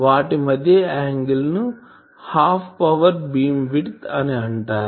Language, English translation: Telugu, So, these angle between them that is called Half Power Beamwidth